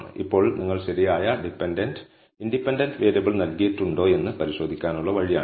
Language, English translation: Malayalam, Now, this is the way for you to check if you have given the right dependent and independent variable